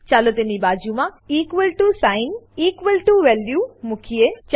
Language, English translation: Gujarati, Let us place an equal to sign = beside it